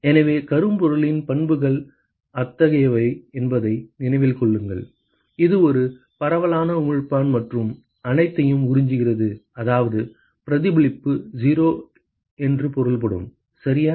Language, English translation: Tamil, So, keep in mind that the properties of black body are such that; it is a diffuse emitter and it absorbs everything which means reflection is 0 right